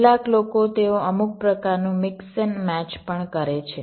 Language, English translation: Gujarati, some people they also do some kind of a mix and match